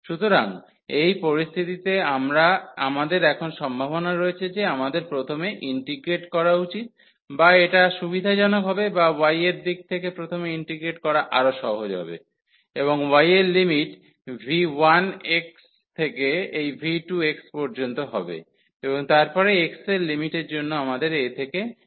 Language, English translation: Bengali, So, in this situation we have the possibility now that we should first integrate or it is convenient or it is easier to integrate first in the direction of y, and the limit of y will be from v 1 x to this v 2 x and then for the limit of x we will have a to b